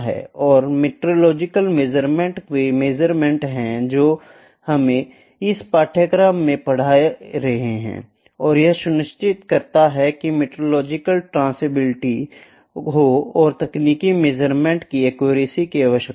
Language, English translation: Hindi, And metrological measurements are the measurements which we are studying in this course and that ensure metrological traceability and require accuracy of technical measurements